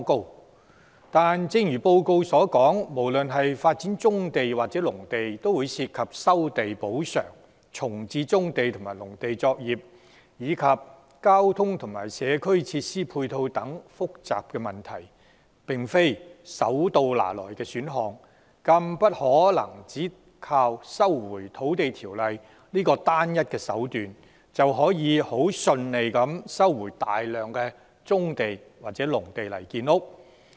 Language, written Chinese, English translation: Cantonese, 可是，正如該報告所述，無論是發展棕地或農地，均涉及收地補償，重置棕地及農地作業，以及交通和社區設施配套等複雜問題，並非手到拿來的選項，更不能只靠《收回土地條例》這個單一手段，便可很順利地收回大量棕地或農地用作建屋。, However as indicated in the report the development of brownfield sites or agricultural lands involve such complicated issues as land resumption and compensation reaccommodation of the operations on brownfield sites and agricultural lands as well as transportation and community facilities . It is not an option that will yield quick results . Nor can the resumption of swathes of brownfield sites or agricultural lands be achieved smoothly by relying solely on invoking the Lands Resumption Ordinance